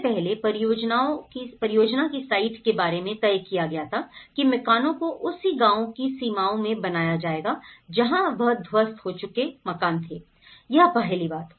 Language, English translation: Hindi, First of all, the site of the project it was decided that the houses will be built in the same village boundaries as the demolished houses that is number 1